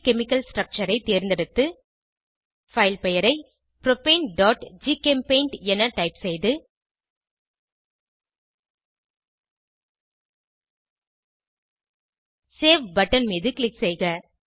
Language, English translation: Tamil, Select 2D Chemical structure Type the file name as propane.gchempaint, and click on Save button